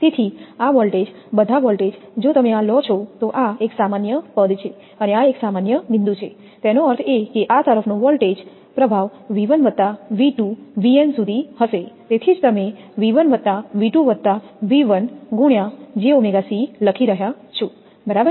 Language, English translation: Gujarati, So, this voltage all the voltage if you take this one is a common terminal like this and this one is a common point; that means, voltage impress across this will be V 1 plus V 2 up to vn, that is why you are writing V 1 plus V 2 plus up to V n into that j omega kc right